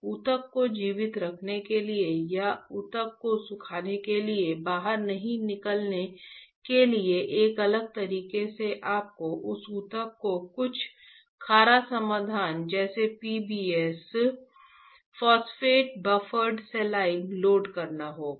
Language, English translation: Hindi, To keep the tissue alive or do not out the tissue to get dry right, there is in a different way you have to load that tissue with some saline solution like PBS Phosphate Buffered Saline alright